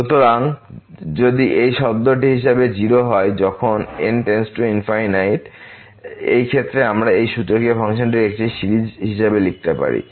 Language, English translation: Bengali, So, if this term goes to 0 as goes to infinity, in this case we can write down this exponential function as a series